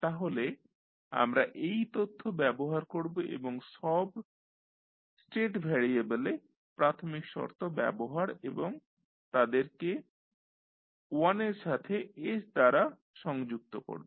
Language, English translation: Bengali, So, we will utilized that information and we will put the initial conditions of all the state variable and connect them with 1 by s